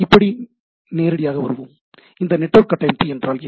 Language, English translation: Tamil, Now, so obviously, comes that what is this network architecture